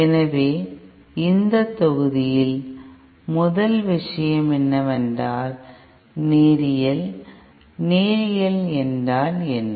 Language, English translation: Tamil, So in this module the first thing what is Linearity, what do you mean by Linearity